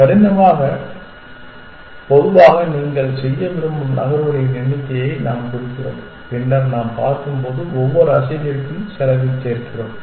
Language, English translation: Tamil, By hard, we mean typically the number of moves that you want to make and later on when we see when we add cost to each move